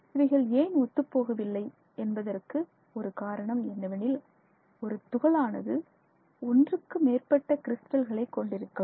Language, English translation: Tamil, So, the reason, one of the reasons why they may not match is that a single particle may have more than one crystal